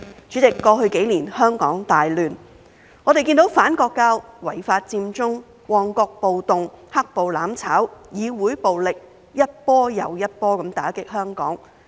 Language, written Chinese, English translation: Cantonese, 主席，過去幾年香港大亂，我們看到反國教、違法佔中、旺角暴動、"黑暴""攬炒"、議會暴力一波又一波打擊香港。, President over the past few years Hong Kong has been in great turmoil . We have seen that Hong Kong has been hit by the anti - national education movement the illegal Occupy Central Mong Kok riots mutual destruction initiated by black - clad rioters and wave after wave of legislative violence